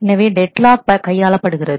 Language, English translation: Tamil, So, deadlock handling